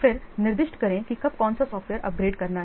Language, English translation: Hindi, Then specify when to upgrade with software